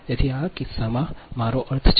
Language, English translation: Gujarati, so in this case, what will happen